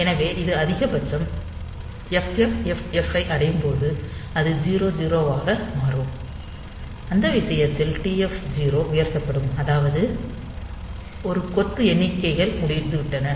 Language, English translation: Tamil, So, when it reaches the maximum FFFFH it will rollover to 0000 and in that case the TF0 will be raised, that as if 1 bunch of counting has been over